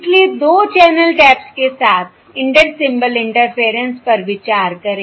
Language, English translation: Hindi, So consider an Inter Symbol Interference with 2 channel taps